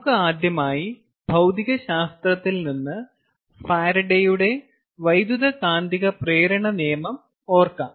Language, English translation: Malayalam, so lets recall from our physics: ah, its a farad faradays law of electromagnetic induction